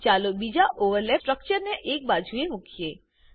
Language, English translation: Gujarati, Lets move the second overlapping structure aside